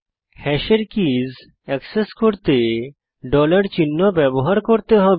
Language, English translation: Bengali, Note: To access key of hash, one has to use dollar sign